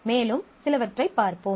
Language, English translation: Tamil, So, let us look into some more